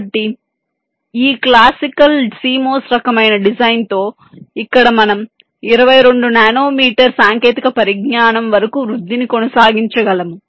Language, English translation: Telugu, so with this classical cmos kind of design we have here we have been able to sustain the growth up to as small as twenty two nanometer technology